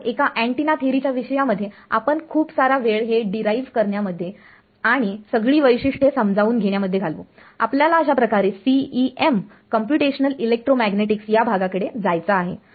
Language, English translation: Marathi, So, in a course on the antenna theory we would spend a lot more time deriving this and understanding all the features, we want to sort of get to the CEM Computational ElectroMagnetics part of it